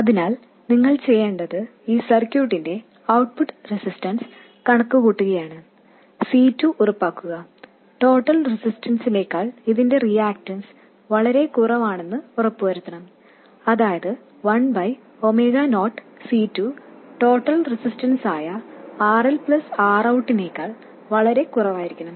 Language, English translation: Malayalam, So, all you have to do is to compute the output resistance of this circuit and make sure that C2 its reactants is much smaller than the total resistance, that is 1 over omega 0 C2 is much smaller than the total resistance which is RL plus R out or C2 must be much greater than 1 by omega 0 rl plus R out